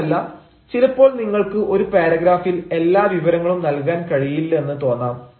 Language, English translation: Malayalam, moreover, at times it so appears that you cannot provide every information in a paragraph